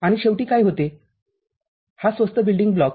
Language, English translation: Marathi, And, what comes at the end this inexpensive building block